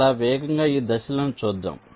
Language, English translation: Telugu, ok, so very quickly, let see this steps